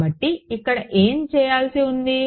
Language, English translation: Telugu, So, what remains to be done here